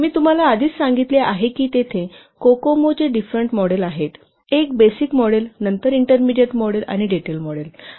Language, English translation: Marathi, As I have already told you there are different models of Kokomo, the fundamental one the basic model, then intermediate model and detailed model